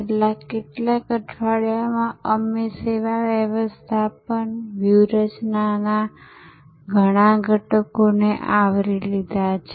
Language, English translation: Gujarati, In the over the last few weeks, we have covered several elements of service management strategies